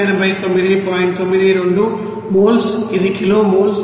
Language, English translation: Telugu, 92 moles this is kilo moles